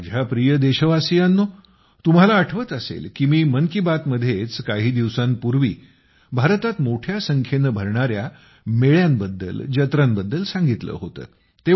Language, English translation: Marathi, My dear countrymen, you might remember that some time ago in 'Mann Ki Baat' I had discussed about the large number of fairs being organized in India